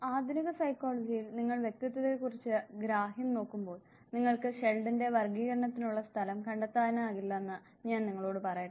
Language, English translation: Malayalam, Let me tell you that modern psychology when you look at the understanding of personality Sheldon's classification you will not find place for it